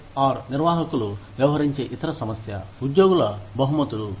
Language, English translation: Telugu, The other issue, that HR managers deal with, is employee rewards